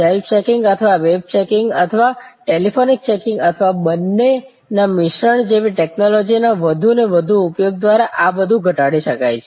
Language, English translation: Gujarati, All that can be mitigated by more and more use of technologies like self checking or web checking or telephone checking or a combination of both